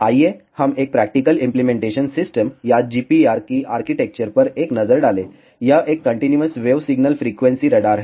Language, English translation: Hindi, Let us have a look at a practical implementation system or an architecture of GPR, this is a continuous wave single frequency radar